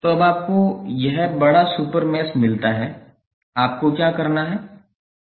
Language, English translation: Hindi, So, now you get this larger super mesh, what you have to do